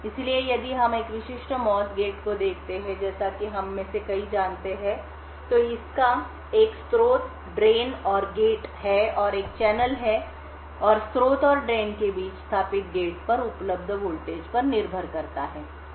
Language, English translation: Hindi, So, if we look at a typical MOS gate as many of us know, So, it has a source, drain and gate and there is a channel and established between the source and drain depending on the voltage available at the gate